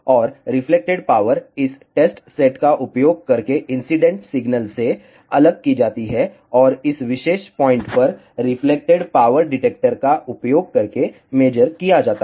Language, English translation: Hindi, And, the reflected power is separated from the incident signal using this test set and is measured at this particular point using reflected power detector